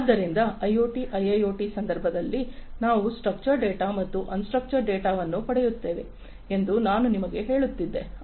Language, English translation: Kannada, So, I was telling you that in the context of IoT, IIoT, etcetera we will get both structured data as well as unstructured data